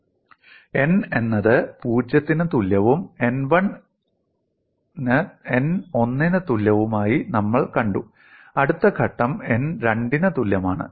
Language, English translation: Malayalam, We have seen n equal to 0, n equal to 1, the next step is n equal to 2